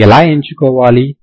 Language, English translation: Telugu, How do I choose